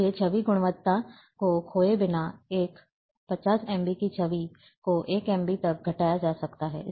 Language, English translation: Hindi, So, a 50 MB image can be reduced to 1 MB, without losing image quality